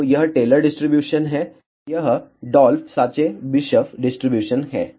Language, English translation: Hindi, So, this is the Taylor distribution this is the Dolph Tschebyscheff distribution